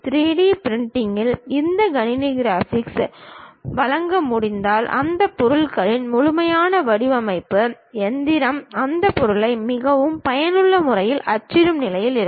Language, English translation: Tamil, In 3D printing, if you can supply this computer graphics, the complete design of that object; the machine will be in a position to print that object in a very effective way